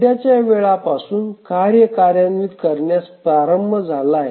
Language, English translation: Marathi, So, from the current time the task is started executing